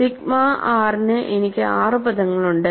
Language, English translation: Malayalam, For sigma r I have six terms, and it starts